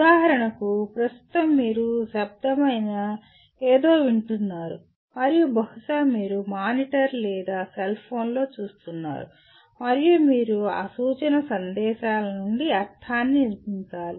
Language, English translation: Telugu, For example at present you are listening to something which is a verbal and possibly you are seeing on a monitor or a cellphone and you have to construct meaning from those instructional messages